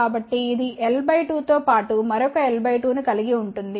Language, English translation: Telugu, So, it will experience l by 2 plus another l by 2